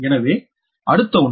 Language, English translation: Tamil, so next one